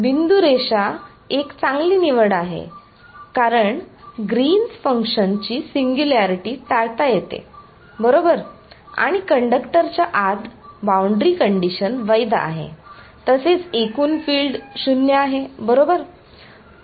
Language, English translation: Marathi, Dotted line is a better choice because singularity of green functions can be avoided right, and the boundary condition is valid inside the conductor also field total field is 0 right